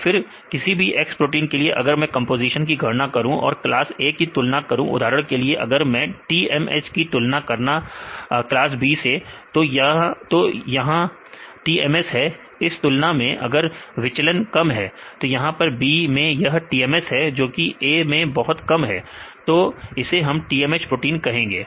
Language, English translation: Hindi, Then for any protein x right if I calculate the composition compare with the class A for example, TMH are compare the class B this is TMS, and see the deviation if the deviation is less in the case of B, this is the transmembrane strand proteins very less in A then we say TMH protein right that is fine ok